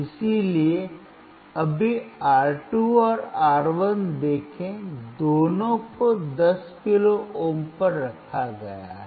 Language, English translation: Hindi, So, right now see R2 and R1 both are kept at 10 kilo ohm